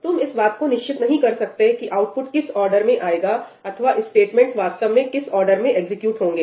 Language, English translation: Hindi, You cannot be assured of what order the output will appear in or what order actually the statements got executed in